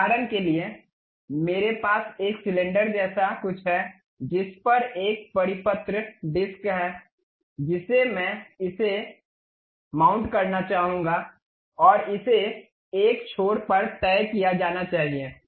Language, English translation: Hindi, For example, I have something like a cylinder on which there is a circular disc I would like to really mount it and it is supposed to be fixed at one end